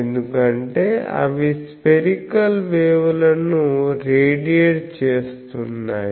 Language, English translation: Telugu, This is because they are radiating spherical waves